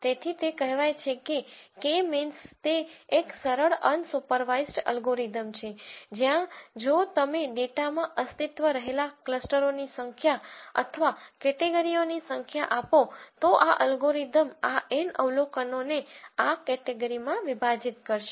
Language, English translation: Gujarati, So, having said all of that K means is one of the simplest unsupervised algorithms where, if you give the number of clusters or number of categories that exist in the data then, this algorithm will partition these N observations into these categories